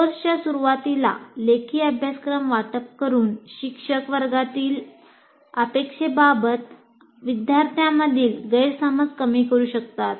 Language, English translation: Marathi, And by distributing a written syllabus at the beginning of the course, the instructor can minimize student misunderstandings about expectation for the class